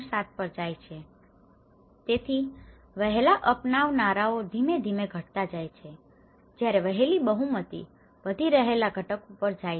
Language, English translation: Gujarati, 7, so the early adopters so it gradually reduces and whereas, the early majority it goes on an increasing component